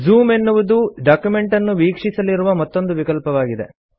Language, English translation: Kannada, Another option for viewing the document is called Zoom